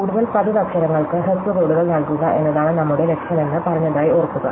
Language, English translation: Malayalam, So, remember we said that our goal is to assign shorter codes to more frequent letters